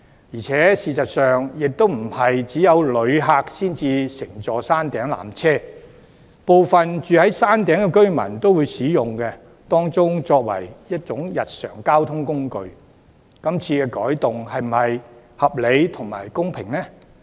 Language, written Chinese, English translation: Cantonese, 然而，事實上並非只有旅客才會乘坐山頂纜車，部分居於山頂的居民亦會將纜車當作日常交通工具使用，這次改動是否公平合理呢？, Nevertheless actually not only travellers would take the Peak Tram but some residents living on the Peak would also use the Peak Tram as a daily means of transport . Is such a change fair and reasonable?